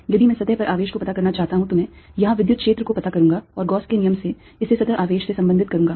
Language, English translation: Hindi, if i want to find the charge on the surface, i will find the electric field here and by gauss's law, related to the surface charge